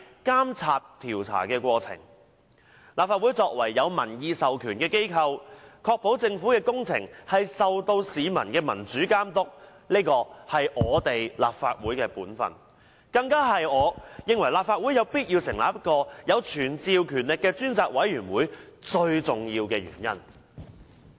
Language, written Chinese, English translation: Cantonese, 立法會作為有民意授權的機構，確保政府工程受到市民的民主監督，是立法會的本分，更是我認為立法會有必要成立一個有傳召權力的專責委員會的最重要原因。, The Legislative Council as a body with a popular mandate is duty - bound to ensure that government projects are subject to democratic supervision by the public . This is the most important reason why I think it is necessary for the Legislative Council to set up a select committee with the power to summon witnesses